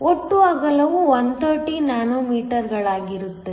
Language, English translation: Kannada, The total width comes out to be 130 nanometers